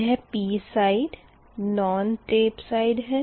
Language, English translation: Hindi, that means this is the non tap side